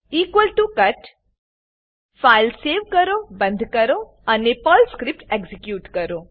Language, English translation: Gujarati, equal to cut Save the file, close it and execute the Perl script